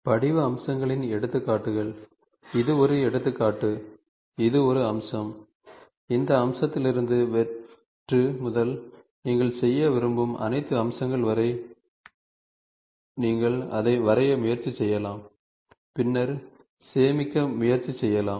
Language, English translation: Tamil, The examples of form features, the this is an example, so this is a feature, from this feature what are all the features from from the blank to what are all the features you want to make, you can try to draw it and then try to store it